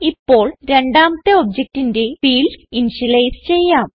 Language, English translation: Malayalam, Now, we will initialize the fields for the second object